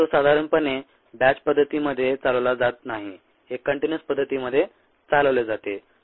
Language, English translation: Marathi, it is normally not operated in a batch mode, it is operated in a continuous mode